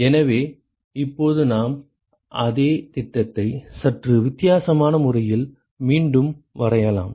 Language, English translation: Tamil, So, now we could also re sketch the same schematic in a slightly different way